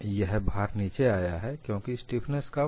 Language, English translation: Hindi, This load has come down, because the stiffness is lower